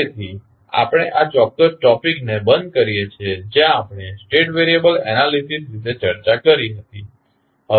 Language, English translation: Gujarati, So, we close our this particular topic where we discuss about the State variable analysis